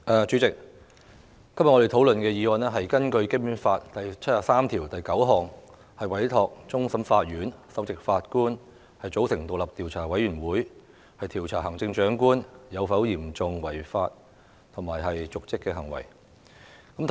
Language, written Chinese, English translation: Cantonese, 主席，我們今天討論根據《基本法》第七十三條第九項動議的議案，委托終審法院首席法官組成獨立調查委員會，調查對行政長官有嚴重違法及/或瀆職行為的指控。, President today we discuss the motion moved under Article 739 of the Basic Law which seeks to give a mandate to the Chief Justice of the Court of Final Appeal to form an independent investigation committee to investigate the charges against the Chief Executive for serious breach of law andor dereliction of duty